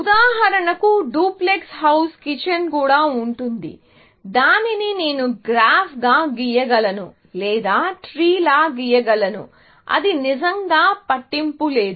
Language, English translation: Telugu, For example, duplex house also will have a kitchen and so on, which I can always, draw it as a graph or I can draw it as a tree; it does not really matter